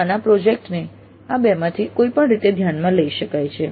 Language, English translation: Gujarati, So it is possible to consider the mini project in either of these two ways